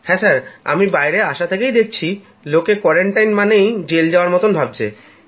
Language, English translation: Bengali, Yes, when I came out, I saw people feeling that being in quarantine is like being in a jail